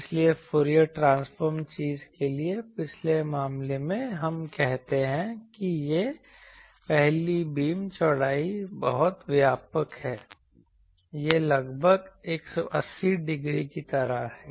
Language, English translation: Hindi, So, you see almost in previous case for Fourier transform thing we say that this first null beam width that is very broad, it is almost like 180 degree